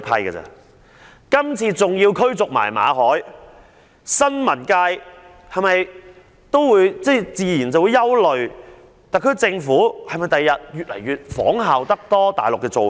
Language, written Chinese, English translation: Cantonese, 對於今次馬凱被逐，新聞界自然會憂慮特區政府日後會否加倍仿效大陸的做法。, The eviction of Victor MALLET has inevitably raised concern in the press over whether the SAR Government will follow the practice of the Mainland more often in future